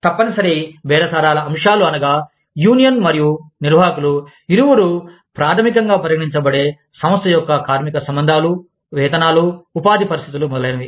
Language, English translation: Telugu, Mandatory bargaining topics are topics, that both union and management, consider fundamental, to the organization's labor relations, wages, employment conditions, etcetera